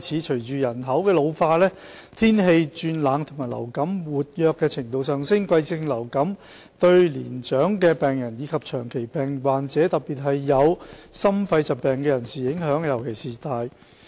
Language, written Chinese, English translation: Cantonese, 隨着人口老化，天氣轉冷及流感活躍程度上升，季節性流感對年長病人及長期病患者，特別是有心肺疾病的人士影響尤大。, Given the ageing population cold weather and increasing activity of influenza seasonal influenza affects elderly patients and chronic patients especially those with heart or lung diseases most significantly